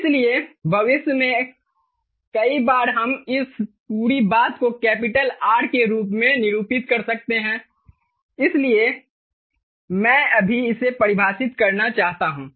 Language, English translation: Hindi, clear, so many a times in future we may denote this whole thing as capital r, ok, so i just want to define it right now